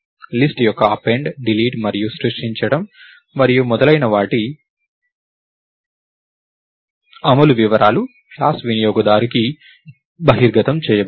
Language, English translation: Telugu, The details of the implementation of append, delete and creation of the list and so, on are not exposed to the user of the class